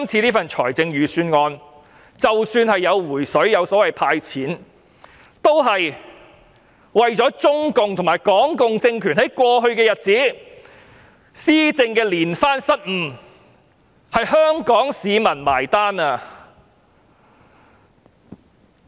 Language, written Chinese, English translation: Cantonese, 這份預算案向市民"回水"，即"派錢"，也是因為中共和港共政權在過去一段日子施政連番失誤，其實是由香港市民結帳。, The Budget provides a rebate or a cash handout to the public because the Communist Party of China and the Hong Kong communist regime have made one mistake after another over the past period of time . In fact Hong Kong people have to foot the bill